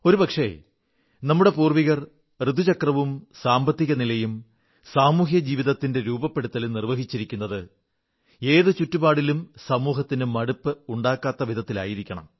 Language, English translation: Malayalam, Perhaps our ancestors intricately wove the annual seasonal cycle, the economy cycle and social & life systems in a way that ensured, that under no circumstances, dullness crept into society